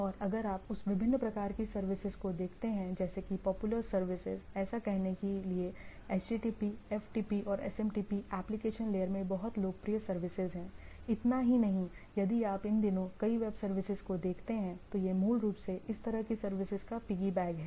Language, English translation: Hindi, And if you look that different type of services then, the popular services; so to say HTTP, FTP and SMTP are the very popular services at the application layer, not only that if you look at our these days several web services, these basically piggyback on this sort of services